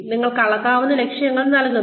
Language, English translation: Malayalam, You assign measurable goals